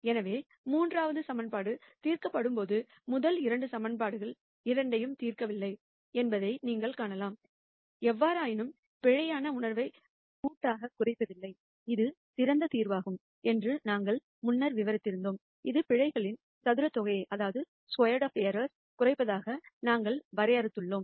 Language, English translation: Tamil, So, you can see that while the third equation is being solved exactly the first take both the first 2 equations are not solve for; however, as we described before this is the best solution in a collective minimization of error sense, which is what we de ned as minimizing sum of squared of errors